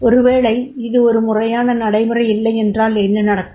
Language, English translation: Tamil, Now if it is not a formal procedure, what will happen